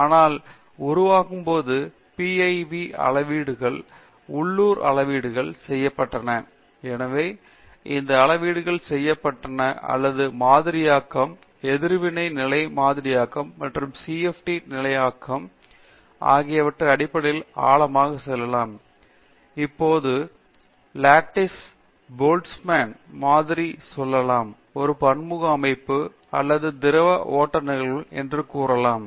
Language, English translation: Tamil, But as it evolved letÕs say PIV measurements, local measurements were done, so the depth to which measurements were done or even let say even in terms of modeling, reactive level modeling and then CFD level modeling now, let say lattice Boltzmann modeling so, but still applied to a letÕs say a multiphase system or a fluid flow phenomena